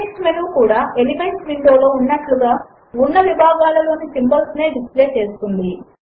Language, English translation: Telugu, The context menu displays the same categories of symbols as in the Elements window